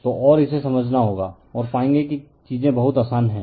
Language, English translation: Hindi, So, and we have to understand that, and we will find things are very easy